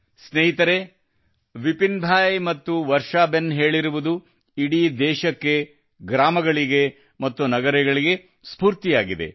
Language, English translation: Kannada, Friends, what Varshaben and Vipin Bhai have mentioned is an inspiration for the whole country, for villages and cities